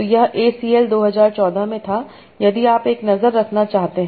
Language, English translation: Hindi, So this was in ACL 2014 if you want to have a look